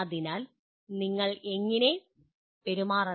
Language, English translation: Malayalam, So that is what how you should behave